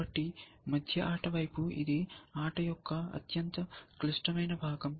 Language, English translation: Telugu, So, towards a middle game, it is a most complex part of the game